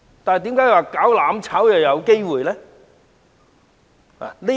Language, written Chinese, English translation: Cantonese, 但為何"攬炒"卻有可能呢？, But why does burning together stand a chance?